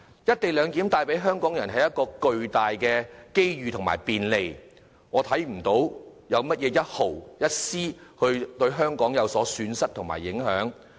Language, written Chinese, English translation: Cantonese, "一地兩檢"帶給香港人巨大機遇和便利，我看不到香港會因此招致絲毫損失，受到任何影響。, This will inevitably alienate themselves from the entire city and its people . With co - location bringing forth massive opportunities and convenience to Hong Kong I do not see how Hong Kong will be harmed or impacted in any way